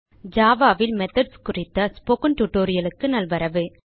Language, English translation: Tamil, Welcome to the Spoken Tutorial on methods in java